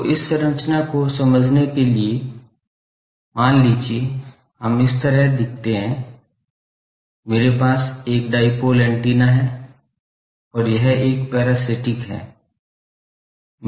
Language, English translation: Hindi, So, the structure is to understand this structurelet us look like this suppose, I have a dipole antenna and this is a parasitic one